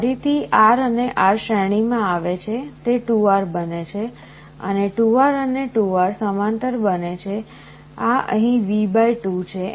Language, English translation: Gujarati, So, again R and R come in series becomes 2R, and 2R and 2R in parallel; this is V / 2 here